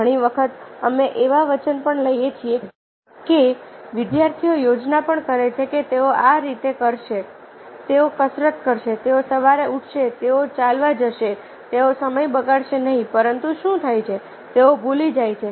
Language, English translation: Gujarati, we take promises, ah, even the students plan, that they will be doing like this, they will doing like exercises, they will get up in the morning, they will go for walk, they will not waste time, but what happens